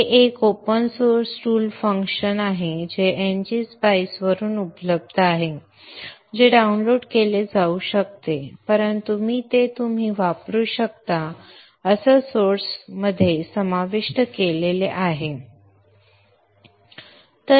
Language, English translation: Marathi, This is an open source tool function available from NG Spice which could have been downloaded but I have included it in the resource you can use it